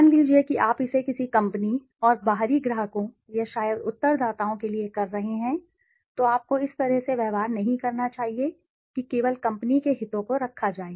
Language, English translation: Hindi, Suppose you are doing it for a company, and the outside clients or maybe the respondents, you should not be treating in a way that only the company s interests are kept